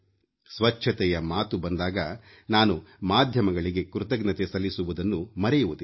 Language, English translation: Kannada, Whenever there is a reference to cleanliness, I do not forget to express my gratitude to media persons